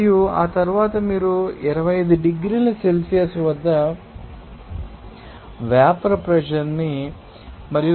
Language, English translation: Telugu, And after that you can calculate the vapour pressure at the 25 degrees Celsius and the pressure of 0